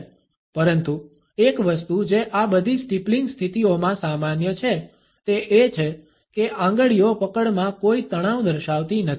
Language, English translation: Gujarati, But one thing which is common in all these steepling positions is that that the fingers do not display any tension in the grip